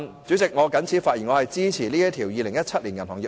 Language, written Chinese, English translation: Cantonese, 主席，我謹此陳辭，支持《條例草案》恢復二讀辯論。, With these remarks President I support the resumption of Second Reading debate on the Bill